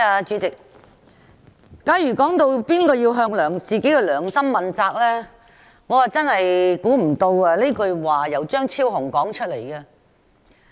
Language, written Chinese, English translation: Cantonese, 主席，有議員談到誰人要向自己的良心問責，我真的想不到這句說話是由張超雄議員說出來的。, President some Members talked about who should be held accountable to their conscience . I really did not expect such words from Dr Fernando CHEUNG